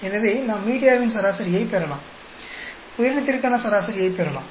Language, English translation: Tamil, So we can get the media average, we can get the average for organism